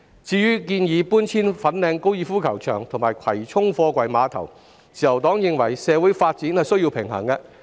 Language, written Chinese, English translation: Cantonese, 至於搬遷粉嶺高爾夫球場及葵涌貨櫃碼頭的建議，自由黨認為政府應平衡社會及發展需要。, As for the proposed relocation of the Fanling Golf Course and the Kwai Chung Container Terminals the Liberal Party believes the Government should strike a balance between social and development needs